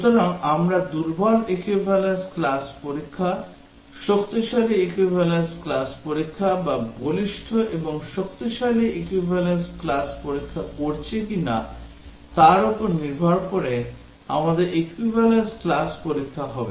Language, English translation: Bengali, So,we will have equivalence class tests depending on whether we are doing weak equivalence class test, strong equivalence class test or robust and strong equivalence class test